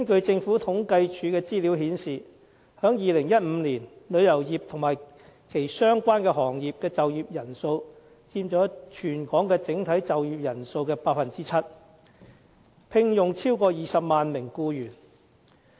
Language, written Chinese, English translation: Cantonese, 政府統計處的資料顯示，在2015年，旅遊業和其相關行業的就業人數佔全港整體就業人數的 7%， 聘用超過20萬名僱員。, According to the Census and Statistics Department in 2015 the number of employees in the tourism and related industries was more than 200 000 accounting for 7 % of the total working population of Hong Kong